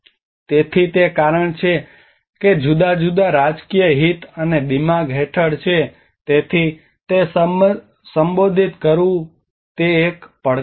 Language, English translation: Gujarati, So it is the cause is falling under the different political interest and the mind so it is a challenges in addressing that as well